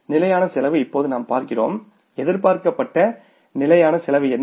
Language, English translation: Tamil, Fix cost is now we see that what was the expected fixed cost